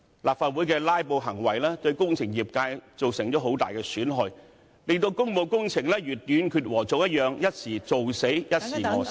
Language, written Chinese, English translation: Cantonese, 立法會的"拉布"行為，對工程業界造成很大損害，令工務工程如"斷截禾蟲"一樣，"一時做死，一時餓死"。, Legislative Council Members filibustering has adversely affected the engineering sector as works projects cannot be carried out in a continuous manner . Sometimes we have far more jobs than we can handle and at other times we are have no job at all